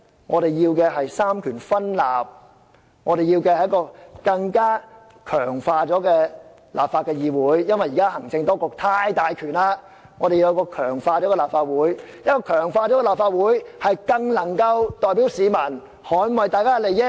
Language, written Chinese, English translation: Cantonese, 我們要求"三權分立"，因為現時行政機關的權力太大，我們要求一個經強化的立法會，才更能夠代表市民捍衞他們的利益。, We demand separation of powers because the executive authorities have too much power at present . We demand to strength the Legislative Council so that it can have the mandate of more people to safeguard their interests